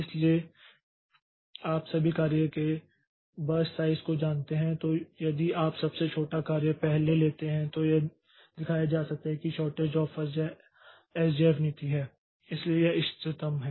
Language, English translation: Hindi, So, if you know the burst size of all the jobs then if you take up the shortest job first then then it can be shown that the shortage job first or SJF policy so this is optimal